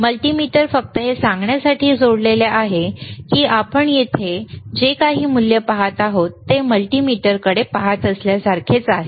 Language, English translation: Marathi, mMultimeter is connected to just to say that, whatever the value we are looking at hehere, is it similar to what we are looking at the multimeter